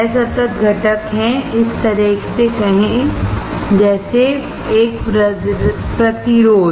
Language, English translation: Hindi, Discrete component are, say like this: a resistor